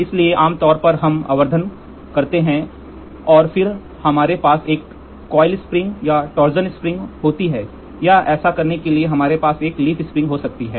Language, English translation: Hindi, So, generally we magnify and then we have a coiled spring or a torsion spring or we have a leaf spring to do this